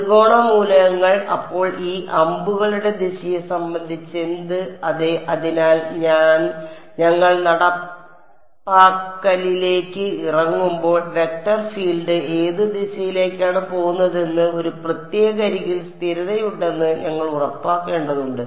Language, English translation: Malayalam, Triangle elements then what about the direction of these arrows over here yeah; so, that will come to when you when we get down to implementation we have to make sure that along a particular edge there is a consistency in which direction the vector field is going yeah